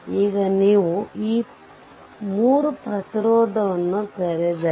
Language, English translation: Kannada, Now, if you open this 3 ohm resistance